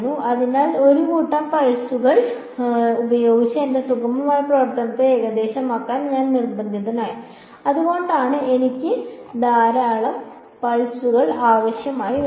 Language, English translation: Malayalam, So, I was forced to approximate my smooth function by set of pulses that is why I need large number of pulses right